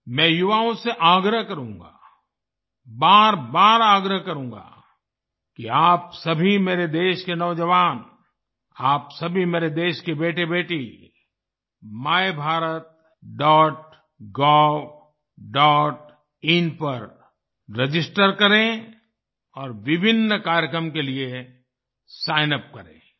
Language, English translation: Hindi, I would urge the youth I would urge them again and again that all of you Youth of my country, all you sons and daughters of my country, register on MyBharat